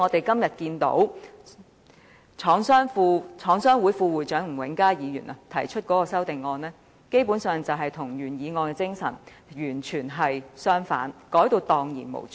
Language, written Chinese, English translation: Cantonese, 今天香港中華廠商聯合會副會長吳永嘉議員提出的修正案，基本上與原議案的精神完全背道而馳。, The amendment proposed today by Mr Jimmy NG Vice President of the Chinese Manufacturers Association of Hong Kong basically runs contrary to the spirit of the original motion